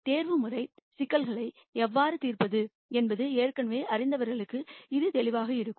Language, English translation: Tamil, For people who already know how to solve optimization problems this would be obvious